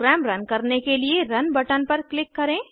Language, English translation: Hindi, Lets click on the Run button to run the program